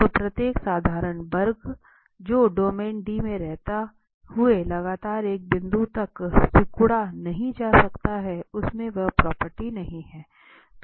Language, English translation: Hindi, So, every closed curve every simple closed curve cannot be continuously shrunk to a point while remaining in the domain D does not have that property